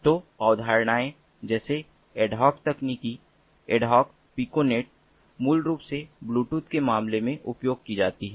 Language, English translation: Hindi, so concepts such as ad hoc technology, ad hoc piconets, are basically commonly used in the case of bluetooth